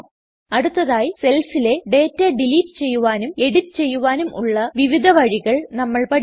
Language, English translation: Malayalam, Next we will learn about different ways in which we can delete and edit data in the cells